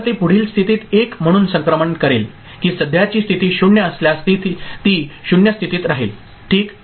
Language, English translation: Marathi, So, whether it will make a transition to next state as 1 or it will remain in the same state that is 0 if the present state is 0 ok